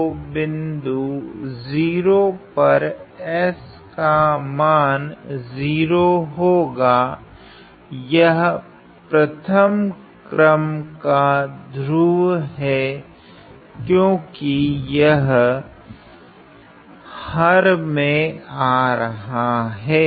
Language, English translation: Hindi, So, the point of 0, so, s equal to 0, is a 1st order pole because of the fact that, it appears in the denominator